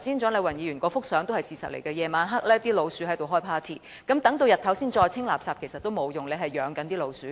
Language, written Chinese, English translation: Cantonese, 蔣麗芸議員剛才展示的相片是事實，到了晚上老鼠便會"開派對"，待日間再清理垃圾已沒有用，已養了老鼠。, The photo displayed by Dr CHIANG Lai - wan just now reflects the true fact that rodents are partying as soon as night falls . It will be useless to clear the waste during daytime for rodents are well fed at night